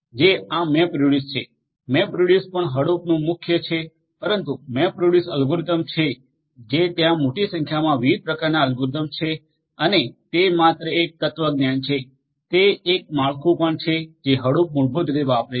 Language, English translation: Gujarati, This is a MapReduce, MapReduce is also core to Hadoop, but MapReduce the algorithms that are there large number of different types of algorithms and their it is just a philosophy, it is a framework that Hadoop basically also uses